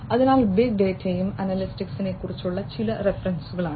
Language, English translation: Malayalam, So, these are some of the references on big data and analytics